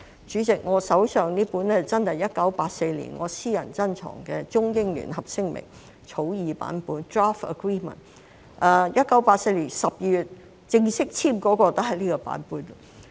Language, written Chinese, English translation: Cantonese, 主席，我手上的是我的私人珍藏，真的是1984年《中英聯合聲明》的草擬版本 ，1984 年12月正式簽署的也是這個版本。, President what I have in my hand is a copy of the Draft Agreement of the Sino - British Joint Declaration of 1984 from my personal collection which was also the version officially signed in December 1984